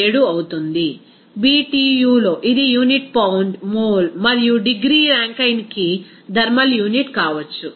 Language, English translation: Telugu, 987, in Btu this maybe it is thermal unit per unit pound mole and degree Rankine